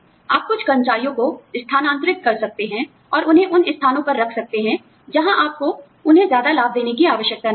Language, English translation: Hindi, You could transfer some employees, and put them in places, where you do not have to give them, so many benefits